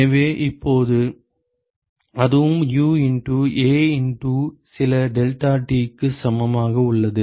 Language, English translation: Tamil, So, from here you get that U equal to U into A into deltaTlmtd